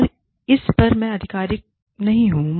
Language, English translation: Hindi, And, I am not the authority, on this